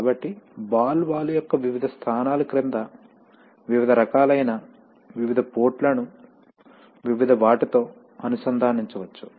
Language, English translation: Telugu, So under the various positions of the ball valve, you can have various kinds of, various ports can be connected to various others, right